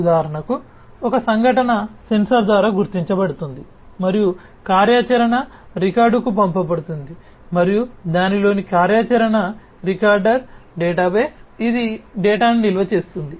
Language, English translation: Telugu, For example, an event is detected by a sensor and sent to the operational recorder and an operational recorder in it is a database, which stores the data